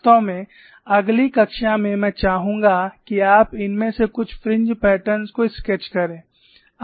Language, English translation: Hindi, In fact, in the next class I would like you to sketch some of this fringe patterns